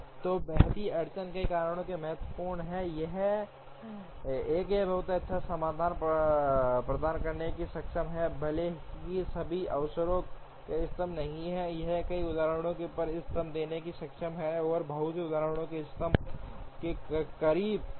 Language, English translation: Hindi, So, the shifting bottleneck heuristic is important for many reasons, one it is able to provide very good solutions, even though not optimal on all occasions, it is able to give optimum on many instances and close to optimum on very many instances